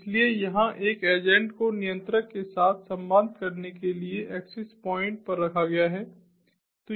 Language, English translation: Hindi, so here an agent is placed at the access points to communicate with the controller